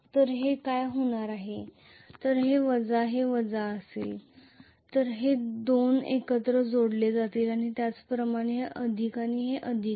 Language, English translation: Marathi, So what is going to happen is if this is minus and this is minus these 2 will be connected together and similarly this is plus and this is plus